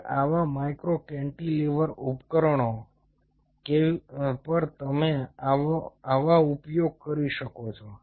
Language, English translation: Gujarati, now, on such micro cantilever devices, you can use such